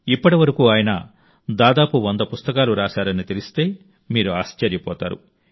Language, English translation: Telugu, You will be surprised to know that till now he has written around a 100 such books